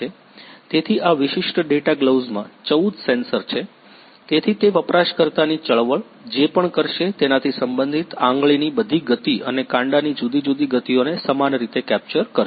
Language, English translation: Gujarati, So, this particular data gloves is having 14 sensors, so it will capture all the finger motions and different wrist motions related to whatever user movement will do; similar